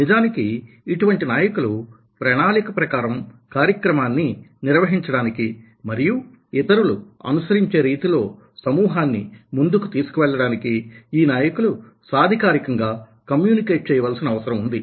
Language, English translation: Telugu, in fact, such people are required to communicate authoritatively, to run the agenda and to move the group forward in a particular way that other should follow